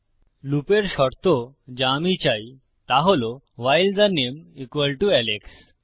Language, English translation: Bengali, The condition of the loop I want is while the name = Alex